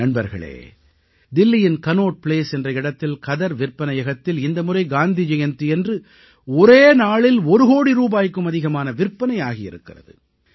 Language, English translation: Tamil, This time on Gandhi Jayanti the khadi store in Cannaught Place at Delhi witnessed purchases of over one crore rupees in just a day